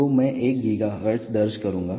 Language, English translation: Hindi, So, I will enter 1 gigahertz enter